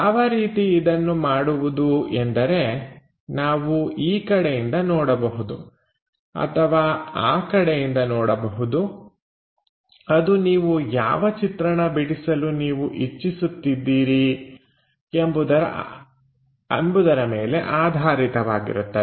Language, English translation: Kannada, The way we do these projections is either we can look from here or we can look from side it depends on which view we are trying to look at draw this figure